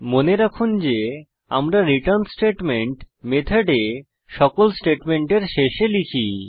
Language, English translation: Bengali, Remember that we write the return statement at the end of all statements in the method